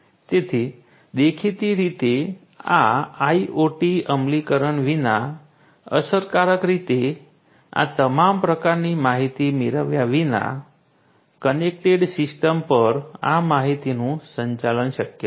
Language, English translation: Gujarati, So, obviously, without this IoT implementation efficiently effectively getting all of these types of information managing these information over a connected system would not be possible